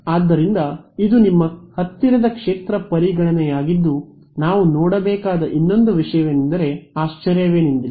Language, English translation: Kannada, So, this is your near field consideration now not surprisingly that the other thing that we should look at is